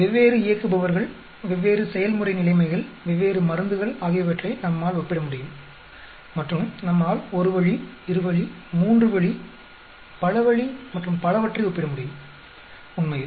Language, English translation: Tamil, We can compare different operators, different process conditions, different drugs, and we can compare one way, two way, three way, multi way, and so on actually